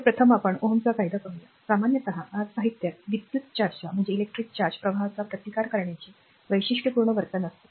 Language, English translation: Marathi, So, first is let us see the Ohm’s law in general actually materials have a characteristic behavior of your resisting the flow of electric charge